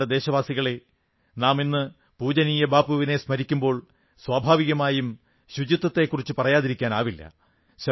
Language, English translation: Malayalam, My dear countrymen, while remembering revered Bapu today, it is quite natural not to skip talking of cleanliness